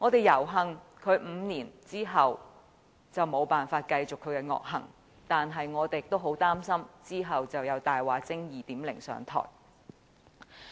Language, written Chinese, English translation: Cantonese, 猶幸他經過這5年後無法再繼續他的惡行，但我們也很擔心之後有"大話精 2.0" 上台。, Fortunately he can no longer commit his sins after these five years . But still we are very worried he will be replaced by a Liar 2.0